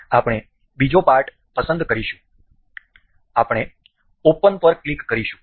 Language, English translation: Gujarati, We will select another part, we will click open